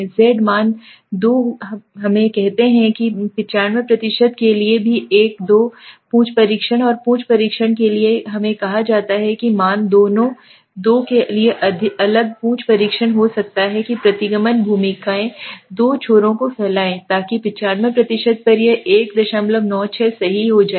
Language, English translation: Hindi, z value let us say at 95% for a also said for a two tail test and tail test both the values would differ for a two tail test may be the regression roles are spreaded two ends right so at 95% it becomes 1